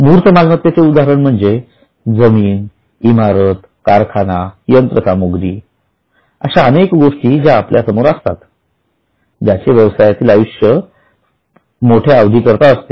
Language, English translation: Marathi, Tangible example are land, building, plant, machinery, variety of things which we see in front of us which are going to have a longer life